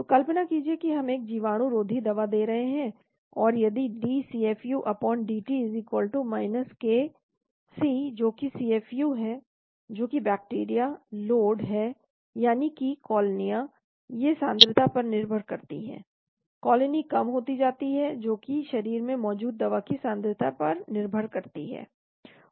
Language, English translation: Hindi, So imagine we are giving an antibacterial drug, and if the d CFU/dt= k C that is CFU that is the bacterial load, that is colonies these depends upon the concentration , colony keeps going down depends upon the concentration of the drug that is present in the body